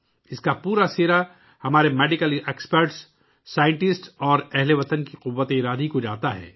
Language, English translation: Urdu, Full credit for this goes to the willpower of our Medical Experts, Scientists and countrymen